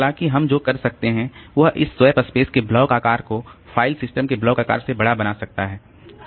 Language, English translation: Hindi, However what we can do we can make this block size of this space to be larger than the block size of the file system